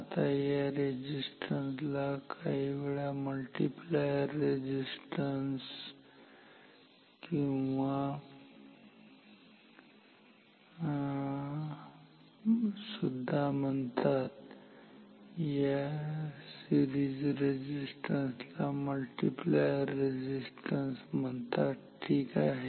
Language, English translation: Marathi, Now, this resistance is sometimes called the multiplier resistance, the series resistance is called multiplier resistance ok